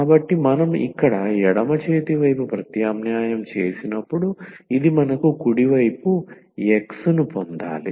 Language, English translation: Telugu, So, when we substitute here in the left hand side, this we should get the right hand side X